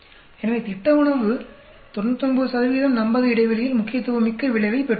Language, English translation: Tamil, So, dietary food has a significant effect gained at 99 percent confidence interval